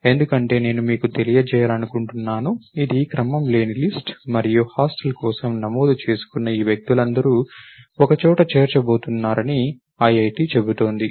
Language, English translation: Telugu, Because I would like to let us say you know, this is an unordered list and IIT saying that all these people who have registered for the hostel, you are going to put two people together